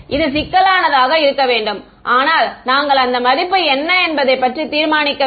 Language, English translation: Tamil, It should be complex, but we had not decided what that value is right